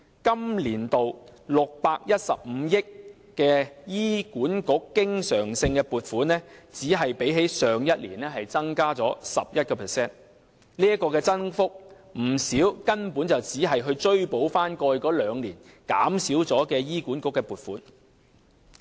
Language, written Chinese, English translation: Cantonese, 本年度615億元的醫管局經常性撥款只比去年增加 11%， 其中不少根本只是追補過去兩年減少了的醫管局的撥款。, The recurrent allocation of 61.5 billion to HA this year has increased by 11 % as compared to last year . In fact a portion of the current allocation merely makes up the reduced amount of funding to HA in the past two years